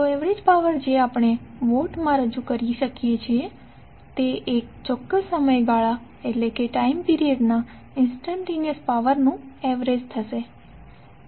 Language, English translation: Gujarati, So average power we can represent in Watts would be the average of instantaneous power over one particular time period